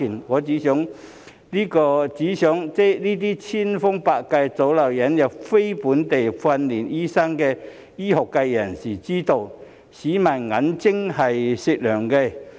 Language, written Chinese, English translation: Cantonese, 我只想這些千方百計阻撓引入非本地訓練醫生的醫學界人士知道，市民的眼睛是雪亮的。, I only want to tell these members of the medical profession who are doing everything possible to prevent the admission of NLTDs that the public have discerning eyes